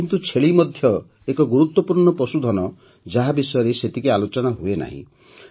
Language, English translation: Odia, But the goat is also an important animal, which is not discussed much